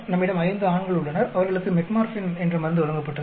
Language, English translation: Tamil, We have five males, who were given a drug called Metformin